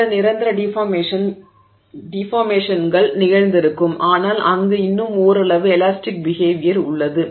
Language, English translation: Tamil, So, there will be some permanent deformation that has happened but still there is some amount of elastic behavior there, right